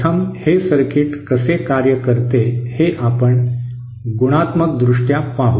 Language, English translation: Marathi, First let us see the qualitative qualitatively how does this circuit works